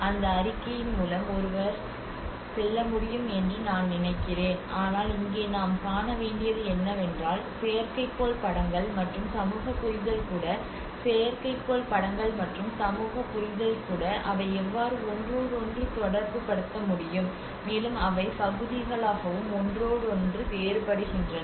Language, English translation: Tamil, I think one can go through that report but here what we have to see is what we have to learn from is that how even the satellite imagery and the social understanding, how they are able to correlate with each other, and also they in parts they also contrast with each other